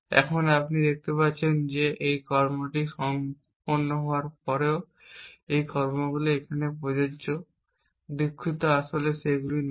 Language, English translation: Bengali, Now, you can see that having done this action these actions are still applicable sorry actually they are not